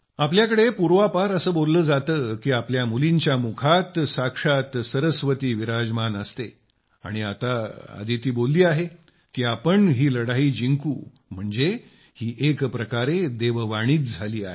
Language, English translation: Marathi, It is said here that when a daughter speaks, Goddess Saraswati is very much present in her words and when Aditi is saying that we will definitely win, then in a way it becomes the voice of God